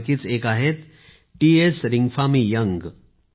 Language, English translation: Marathi, One of these is T S Ringphami Young